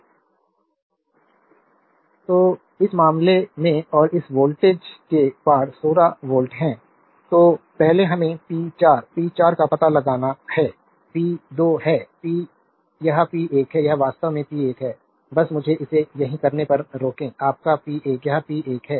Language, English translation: Hindi, So, in this case and across this voltage is 16 volt, then first we have to find out p 4, p 4 is there p 2, p this is p 1, this is actually p 1, just hold on let me correct this is actually your p 1 right this is p 1